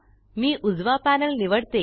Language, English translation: Marathi, I am choosing the bottom panel